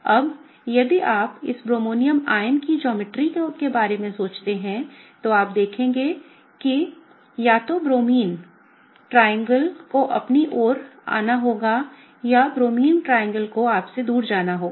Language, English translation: Hindi, Now, if you think about the geometry of this bromonium ion, what you will see is that, either the Bromine triangle has to come towards you or the Bromine triangle has to go away from you